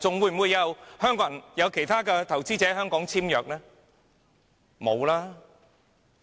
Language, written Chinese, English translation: Cantonese, 還會有其他投資者來港簽約嗎？, Will other investors sign contracts in Hong Kong?